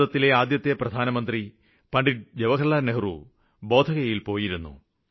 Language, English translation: Malayalam, Pandit Nehru, the first Prime Minister of India visited Bodh Gaya